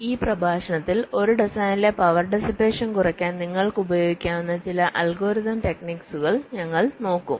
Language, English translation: Malayalam, so in this lecture we shall be looking at some of the algorithmic techniques that you can use to reduce the power dissipation in a design